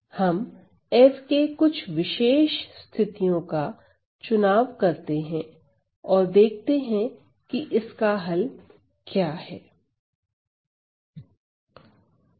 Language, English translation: Hindi, So, let us choose some particular cases of f and see what is the solution